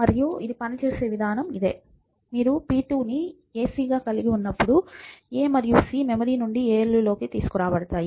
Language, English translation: Telugu, So, when you have p2 is a time c, a and c are brought in from the memory into the ALU